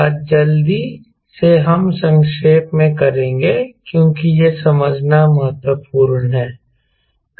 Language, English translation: Hindi, today, quickly we will summarize because it is important to understand